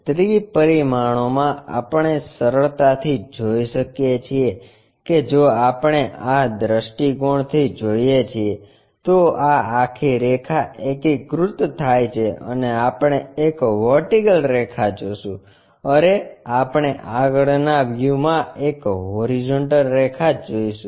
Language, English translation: Gujarati, In three dimension we can easily see that if we are looking from this view, this entire line coincides and we will see a vertical line,we see a horizontal line in the front view